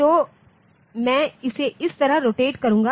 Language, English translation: Hindi, So, I will be rotating it like this